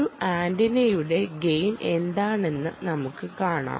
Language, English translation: Malayalam, but what is the gain of an antenna